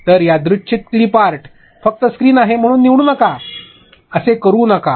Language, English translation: Marathi, So, a random dated clip art just do not pick that up because it is screen, do not do that